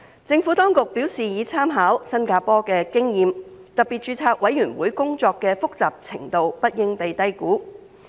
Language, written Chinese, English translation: Cantonese, 政府當局表示已參考新加坡的經驗，特別註冊委員會工作的複雜程度不應被低估。, According to the Government it has made reference to the experience of Singapore and the complexity of the work of SRC should not be underestimated